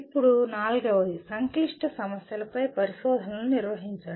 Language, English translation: Telugu, Now fourth one, conduct investigations of complex problems